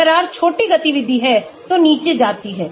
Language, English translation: Hindi, if the R is small activity goes down